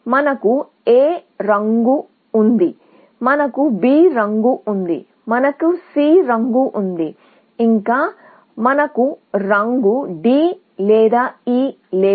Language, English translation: Telugu, We have colored A, we have colored B, we have colored C, and we have not yet, colored D, or E